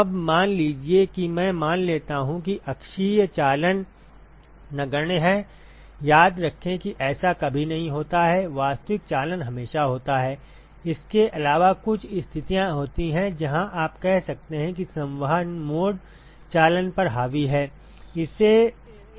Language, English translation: Hindi, Now, suppose I assume that the axial conduction is negligible remember this is never the case actual conduction is always there except that, there are some situations where you can say that the convection mode is dominating over the conduction